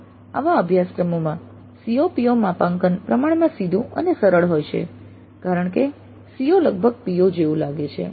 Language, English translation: Gujarati, Thus COPO mapping in such courses tends to be relatively straightforward, simple and easy because the CO almost looks like a PO